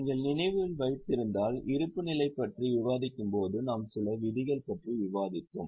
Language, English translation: Tamil, If you remember, we have discussed provisions when we discuss the balance sheet